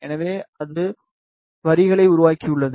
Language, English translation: Tamil, So, it has created the lines